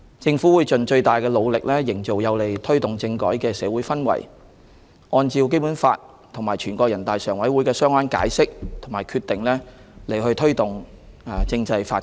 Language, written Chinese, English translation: Cantonese, 政府會盡最大努力營造有利推動政改的社會氛圍，按照《基本法》及全國人大常委會的相關解釋和決定推動政制發展。, The Government will do its utmost to create an atmosphere conducive to the promotion of constitutional reform and then press forward constitutional development in accordance with the Basic Law as well the relevant interpretations and decisions of NPCSC